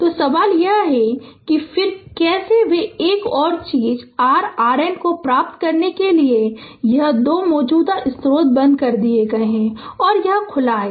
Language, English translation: Hindi, So, question is that that what then how they ah another thing is to get the your R N this two current source turned off, and this is open right